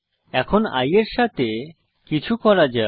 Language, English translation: Bengali, Now let us do something with i